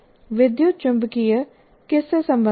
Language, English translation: Hindi, What does electromagnetics deal with